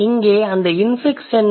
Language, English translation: Tamil, And what is that infix here